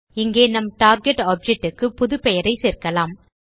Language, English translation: Tamil, Here we add the name of our target object